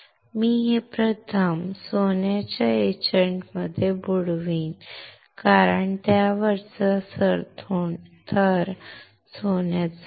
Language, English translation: Marathi, I will dip this wafer first in gold etchant because the top layer is gold